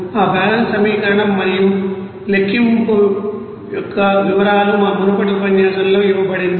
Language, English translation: Telugu, The details of that balance equation and the calculation is given in our previous lecture